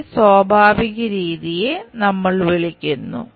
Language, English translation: Malayalam, This is what we call natural method